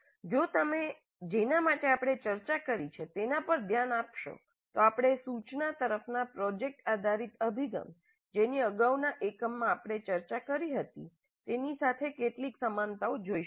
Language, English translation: Gujarati, Now if you look at what we have discussed so far we see certain number of similarities with the project based approach to instruction which we discussed in the previous unit